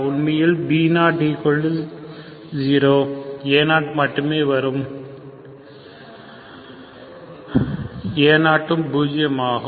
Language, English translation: Tamil, Of course b0 is 0, a 0 only will contribute